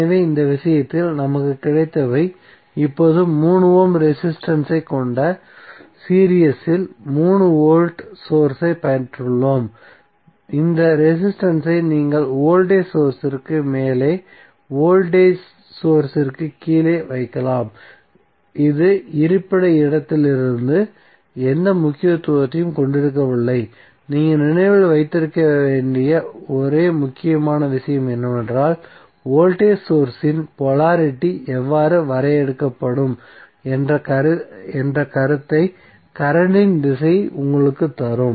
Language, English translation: Tamil, So in this case what we have got, we have got 3 voltage source in series with 3 ohm resistance now, this resistance you can either put above the voltage source below the voltage source it does not have any significance from location prospective so, both would be same either you put up side or down ward the only important thing which you have to remember is that, the direction of current will give you the idea that how the polarity of the voltage source would be define